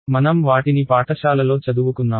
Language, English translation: Telugu, We have studied in school